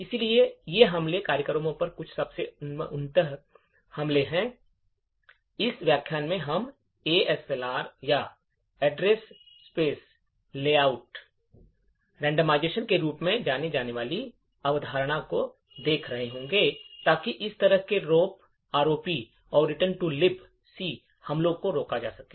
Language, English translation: Hindi, So, these attacks are some of the most advanced attacks on programs, in this particular lecture we will be looking at a concept known as ASLR or Address Space Layout Randomisation in order to prevent such ROP and Return to Libc attacks